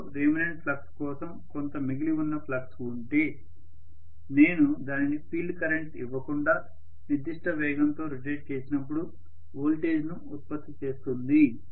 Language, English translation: Telugu, If there is some remaining flux for remanent flux in the machine it will generate a voltage even when I rotate it at certain speed, without any field current